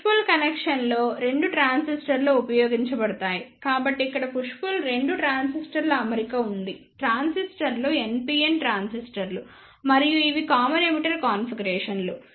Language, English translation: Telugu, In push pull connection two transistors are used, so here is the push pull arrangement of two transistors the transistors are NPN transistors and these are the common emitter configurations